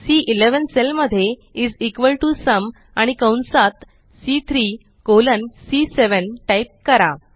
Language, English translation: Marathi, In the cell C11 lets type is equal to SUM and within braces C3 colon C7